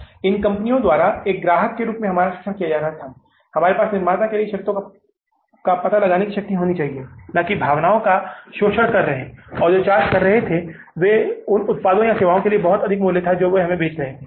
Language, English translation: Hindi, As a customer where we should have the power to dictate the terms to the manufacturer, they were rather exploiting our sentiments and were, say, charging a very exorbitant price for the products or services they were selling to us